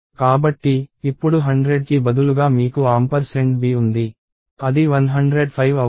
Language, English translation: Telugu, So, instead of 100 now you will have ampersand of b that is 105